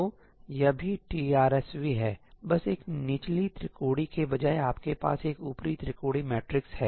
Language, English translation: Hindi, So, this is also TRSV, just that instead of a lower triangular you have an upper triangular matrix